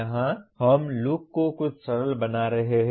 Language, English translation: Hindi, Here we are making this look somewhat simple